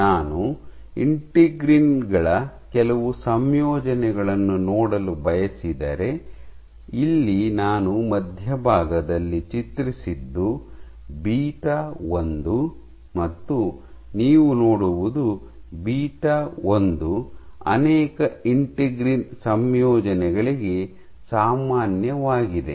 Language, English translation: Kannada, So, if I want to look at some of the combinations of integrins, so here I have drawn in the center is beta 1 and what you see is beta 1 is common to many of the integrin combinations